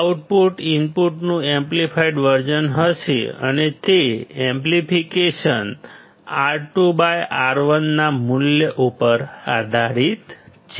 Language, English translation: Gujarati, Output would be amplified version of the input and that amplification depends on the value of R2 by R1